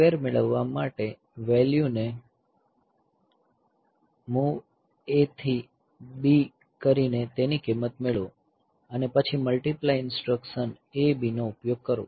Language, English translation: Gujarati, So, for getting the square, the value, the MOV, the value of MOV, the value of A to B and then use the instruction multiply A B